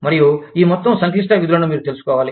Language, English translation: Telugu, And, you will need to know, this whole complex function